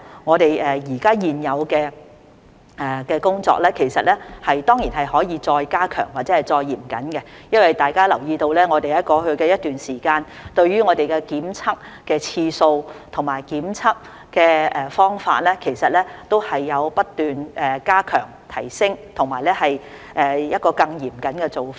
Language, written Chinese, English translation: Cantonese, 我們現有的工作當然可以再加強或更加嚴謹；大家也留意到，在過去一段時間，我們對於檢測的次數和方法都有不斷加強、提升，並採取更嚴謹的做法。, Our ongoing efforts can certainly be stepped up or made more stringent . As Members have noticed for some time past we have been constantly increasing the frequency and enhancing the method of testing as well as adopting a more stringent approach